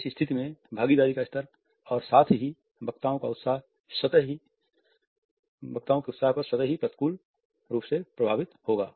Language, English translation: Hindi, The level of participation as well as the enthusiasm of the speakers would automatically be adversely affected in this situation